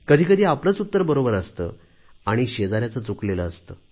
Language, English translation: Marathi, Sometimes it happens that our own answer is correct and the other's answer is wrong